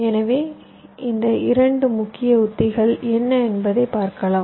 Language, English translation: Tamil, what are these two main strategies are